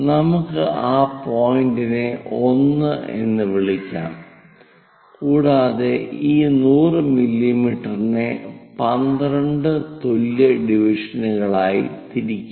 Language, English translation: Malayalam, Let us call that point 1 here, and 12 divide this 100 mm into 12 equal divisions